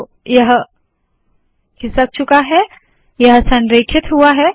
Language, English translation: Hindi, So this has been shifted, this has been aligned